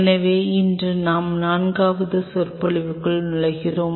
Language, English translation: Tamil, So, today we are into the fifth lecture of week 3